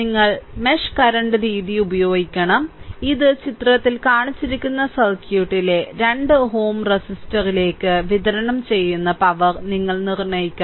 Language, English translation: Malayalam, You have to using mesh current method; you have to determine that power delivered to the 2 ohm resistor in the circuit shown in figure this